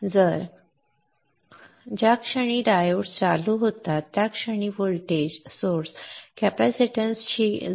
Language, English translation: Marathi, So the moment the diodes turn on at this point, the diodes turn on at this point, a voltage source is seen connected to a capacitance